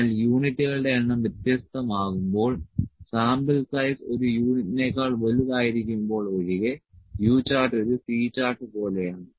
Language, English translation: Malayalam, But when the number of units are different, U chart is like a C chart except the sample size is greater than one unit